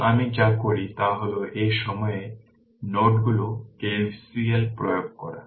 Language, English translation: Bengali, Now what you do is you apply KCL at node at this point